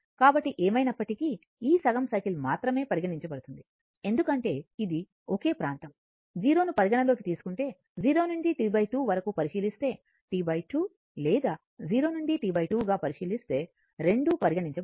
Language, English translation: Telugu, So anyway, will consider this half cycle only because these are same, same area; if you consider 0, if you if you consider 0 to T by 2 right, if divided by T by 2 or 0 to T divided by 2, in that both will be covered